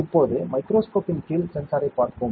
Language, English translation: Tamil, Now, let us look at the sensor under the microscope